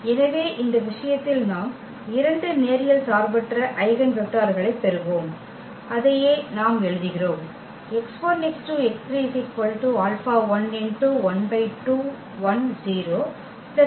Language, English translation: Tamil, So, in this case we will get two linearly independent eigenvectors, and that is what we write